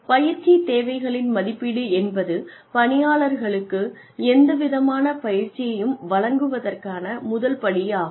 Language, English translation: Tamil, Training needs assessment is the first step, towards delivering, any kind of training, to the employees